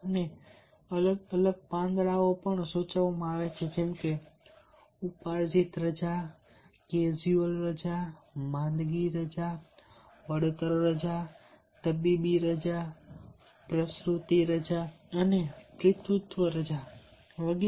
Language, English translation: Gujarati, and different leaves are also prescribed, like earned leave, casual leave, sick leave, compensatory leave, medical leave, maternity leave, maternity leave and benefits, paternity leave, etcetera